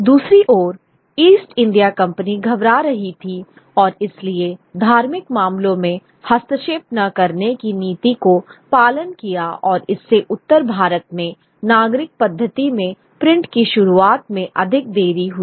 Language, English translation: Hindi, On the other hand, the East India Company sort of was wary of ruffling feathers and followed a policy of non interference in religious matters and this sort of delayed the introduction of print to North India in a more civilian method